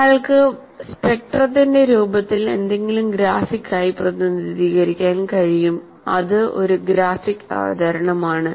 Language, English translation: Malayalam, Now one can graphically represent something in the form of a spectrum